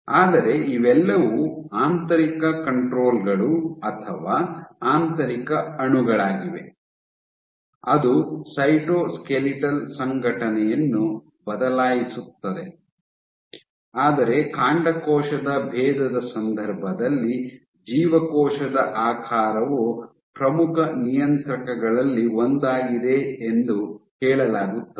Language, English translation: Kannada, But these are all internal controls or internal molecules which will alter cytoskeletal organization, but in the context of stem cell differentiation has said that cell shape is one of the important regulators